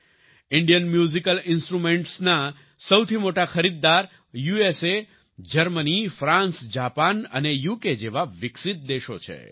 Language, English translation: Gujarati, The biggest buyers of Indian Musical Instruments are developed countries like USA, Germany, France, Japan and UK